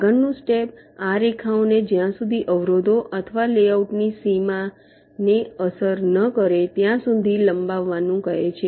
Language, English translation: Gujarati, ok, the next step says to extend this lines till the hit obstructions or the boundary of the layout